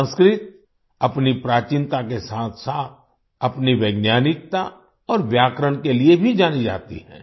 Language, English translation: Hindi, Sanskrit is known for its antiquity as well as its scientificity and grammar